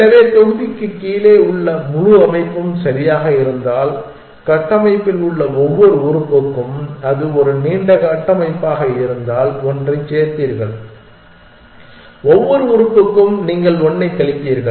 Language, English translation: Tamil, So, if it is entire structure below the block is correct then for every element in the structure, you will add one if it is a long structure, for every element you will subtract 1